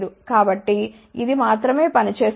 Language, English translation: Telugu, So, only this thing will do the job